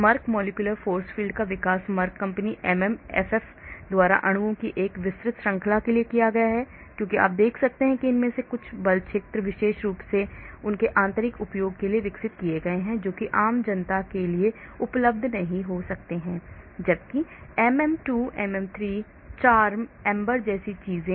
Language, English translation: Hindi, Merck Molecular Force Field developed by Merck company MMFF for a broad range of molecules, as you can see some of these force fields are specifically developed for their internal use which might not be available for general public whereas things like MM2, MM3, CHARMM, AMBER, CFF you may get it as a free ware